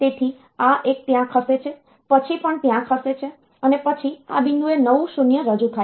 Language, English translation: Gujarati, So, this one is shifted there, the next one is also shifted there and then new 0 gets introduced at this point